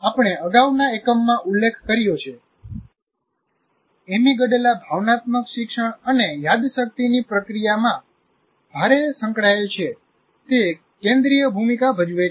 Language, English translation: Gujarati, In either case, we mentioned earlier in the earlier unit, amygdala is heavily involved in processing emotional learning and memory